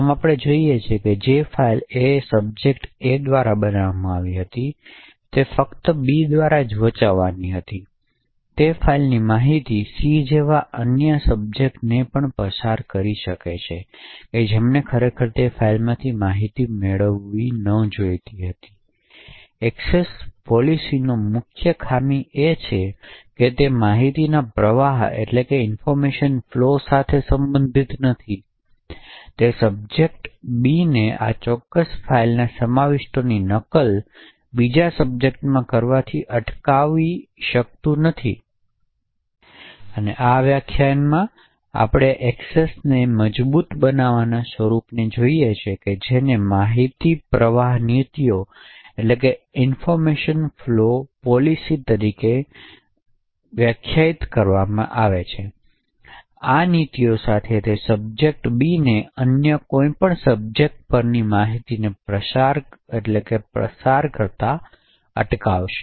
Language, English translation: Gujarati, Thus what we see is that the file which was created by subject A and meant to be read only by subject B the information in that file also passes to other subjects like C who was not supposed to have actually got the information from that file, so essentially the main drawback of discretionary access policies is that it is not concerned with information flow, it cannot do checks to prevent subject B from copying the contents of this particular file to another subject, in this particular lecture we look at the stronger form of access control based on information flow policies, with these policies it will prevent subject B from passing on the information to any other subject